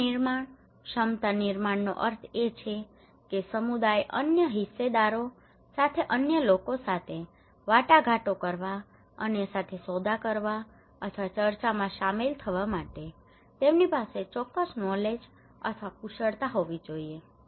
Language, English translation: Gujarati, Capacity building, capacity building means that the community in order to engage with other stakeholders to negotiate with other, to bargain with other, or to involve in discussions critical discussions they should have certain knowledge or skills